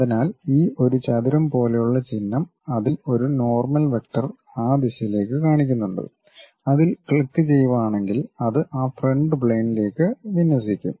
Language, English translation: Malayalam, So, this is the symbol what we have something like a square with normal vector pointing in that direction if you click that it will align to that front plane